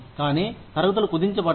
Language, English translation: Telugu, But, the grades have been compressed